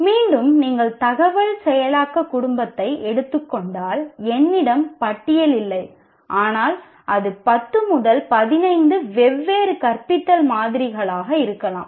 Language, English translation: Tamil, Again, if you take information processing family, I don't have a list, but it can be 10, 15 different teaching models